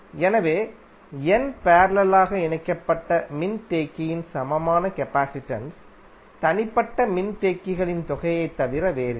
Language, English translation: Tamil, So what you can say, equivalent capacitance of n parallel connected capacitor is nothing but the sum of the individual capacitances